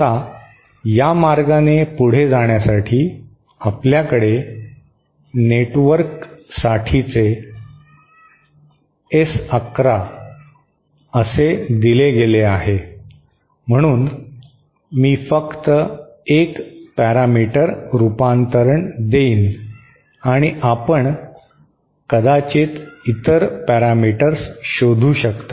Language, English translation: Marathi, Now, proceeding this way, we have S 11 for the network is given by this, so I will just give one parameter conversion and you can maybe find out for the other parameters